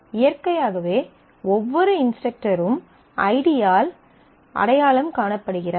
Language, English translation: Tamil, So, naturally every instructor is identified by id every student is identified by id